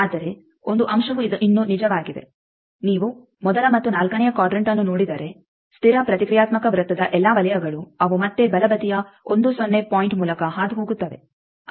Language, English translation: Kannada, But one point is still true that if you see the first and fourth quadrant that all the circles of constant reactance circle they are again passing through the right most point 1 0